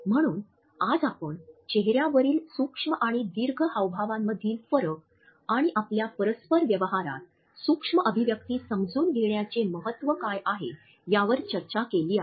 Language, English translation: Marathi, So, today we have discussed the difference between micro and macro facial expressions and what exactly is the significance of understanding micro expressions in our interpersonal behavior